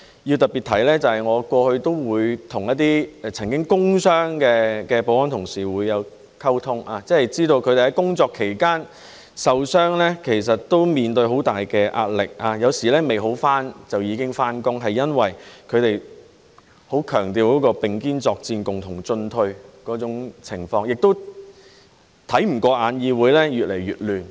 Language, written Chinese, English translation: Cantonese, 要特別提到，我過去常與一些曾受工傷的保安同事溝通，知道他們在工作期間受傷，其實面對很大壓力，有時未康復就已經上班，是因為他們很強調並肩作戰、共同進退，亦看不過眼議會越來越亂。, It is worth highlighting that in the past I often communicated with those security colleagues who had been injured at work and I learned that they actually faced tremendous pressure arising from their injuries at work . Sometimes they went to work even before recovery because they emphasized standing shoulder to shoulder through thick and thin and they could not bear to see the Council getting more and more chaotic